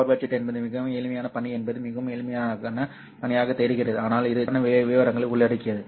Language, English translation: Tamil, So power budget is a very simple task, seems to be a very simple task, but it involves a lot of intricate details